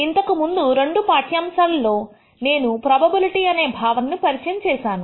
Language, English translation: Telugu, In the preceding two lectures, I introduced the concepts of probability